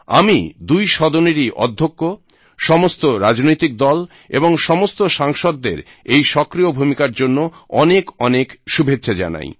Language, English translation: Bengali, I wish to congratulate all the Presiding officers, all political parties and all members of parliament for their active role in this regard